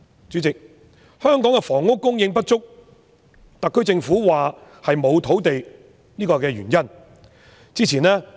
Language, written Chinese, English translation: Cantonese, 主席，香港的房屋供應不足，特區政府說原因是沒有土地。, President according to the SAR Government housing shortage in Hong Kong is caused by the lack of land supply